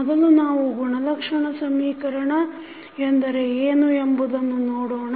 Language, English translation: Kannada, First let us try to understand what is characteristic equations